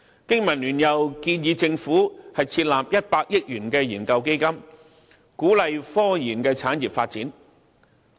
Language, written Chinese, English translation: Cantonese, 經民聯又建議政府設立100億元研究基金，鼓勵科研產業發展。, BPA has also proposed the setting up of a research fund of 10 billion by the Government to encourage the development of scientific research industry